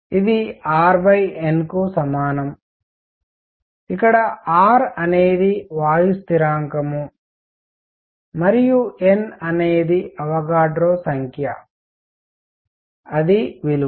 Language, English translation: Telugu, And this is equal to R over N where R is the gas constants gas constant and N is the Avogadro number that is the value